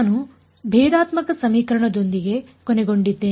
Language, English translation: Kannada, I ended up with the differential equation right